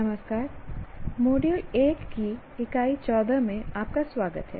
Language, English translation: Hindi, Greetings and welcome to Unit 14 of Module 1